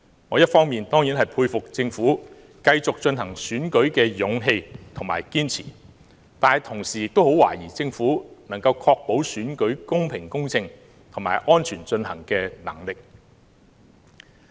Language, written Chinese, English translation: Cantonese, 我一方面當然佩服政府繼續進行選舉的勇氣和堅持，但同時亦很懷疑政府能夠確保選舉公平公正和安全進行的能力。, While I appreciate the courage and perseverance demonstrated by the Government in pressing ahead with the election I am doubtful about the ability of the Government in ensuring a fair just and safe election